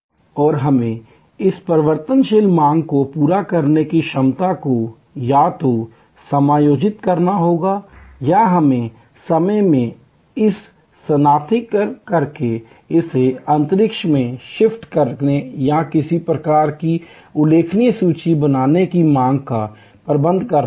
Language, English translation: Hindi, And we have to either adjust the capacity to meet this variable demand or we have to manage the demand itself by shifting it in time, shifting it in space or create some kind of notional inventory